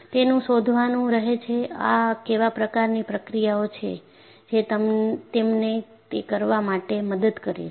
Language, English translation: Gujarati, So, they have to find out, what kind of processes that would help them to do it